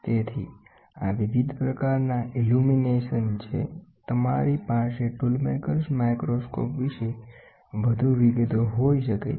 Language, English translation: Gujarati, So, these are the different types of illumination, you can have and more details about the tool maker’s microscope